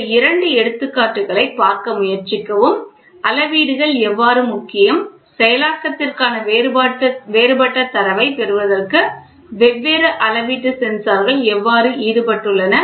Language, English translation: Tamil, Please try to look at these two examples what I have given here how measurements are important, how different different measurement sensors are involved to get a different data for processing